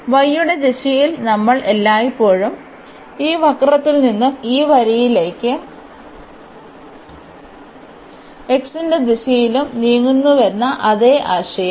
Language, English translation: Malayalam, Now again the same idea that in the direction of y we are always moving from this curve to this line and in the direction of x will be moving than